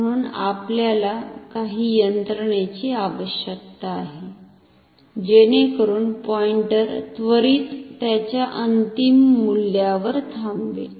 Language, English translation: Marathi, Therefore, we need some mechanism so, that the pointer stops at it is final value very quickly